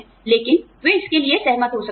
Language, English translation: Hindi, But, they may agree to it